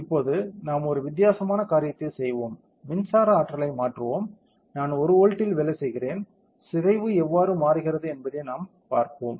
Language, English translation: Tamil, Now, let us do a different thing let us change the electric potential, I am working at one volt we will see how the deformation changes